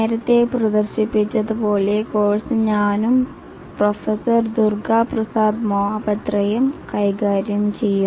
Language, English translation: Malayalam, Welcome to the software project management course as has been handled by myself and Professor Durga Prasad Mahapatra